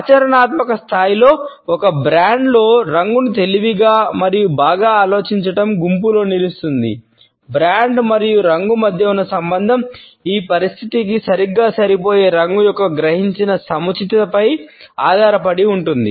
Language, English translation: Telugu, The relationship between brand and color hinges on the perceived appropriateness of the color being an exact fit for this situation